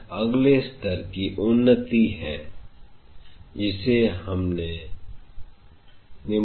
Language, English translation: Hindi, This is the next level advancement what we are going to deal